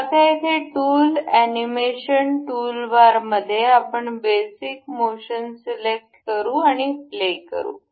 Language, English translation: Marathi, So, now here in the tool animation toolbar, we will select basic motion, and we will play